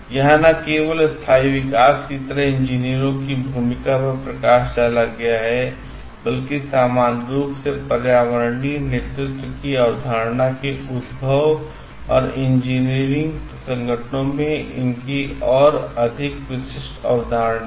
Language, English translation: Hindi, This is not only highlighted the role of engineers towards like sustainable development, but has also led the emergence of the concept of environmental leadership in general, and more specific in engineering organisations as well